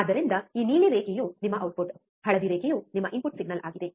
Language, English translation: Kannada, So, this blue line is your output, the yellow line is your input signal